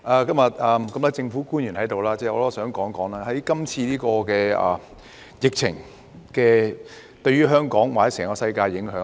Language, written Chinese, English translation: Cantonese, 既然多位政府官員今天在席，我想談談這次疫情對於香港或整個世界的影響。, Since many government officials are in the Chamber today I would like to talk about the impact of this pandemic on Hong Kong or the whole world